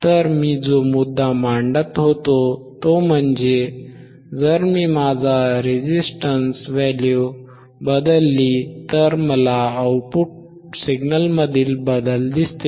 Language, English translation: Marathi, So, you so the point that I was making is if I if I change my resistance value, if my change my resistance value I, I could see the change in the output signal